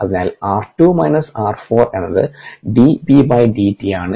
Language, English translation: Malayalam, therefore r two minus r four is d b d t